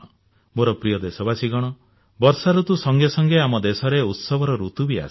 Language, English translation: Odia, My dear countrymen, with the onset of rainy season, there is also an onset of festival season in our country